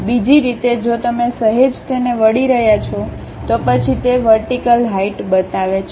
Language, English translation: Gujarati, In other way if you are slightly rotating twisting it, then it shows that vertical height of that